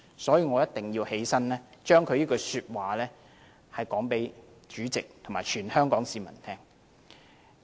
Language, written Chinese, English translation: Cantonese, 所以，我一定要起立發言，把他這番話告知主席和全香港市民。, I must therefore rise to speak so as to relay his message to the President and Hong Kong people